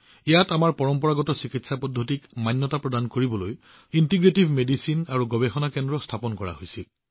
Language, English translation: Assamese, Here, the Center for Integrative Medicine and Research was established six years ago to validate our traditional medical practices